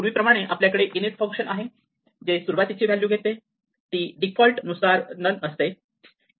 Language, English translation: Marathi, So, as before we have an init function which takes an initial values which is by default none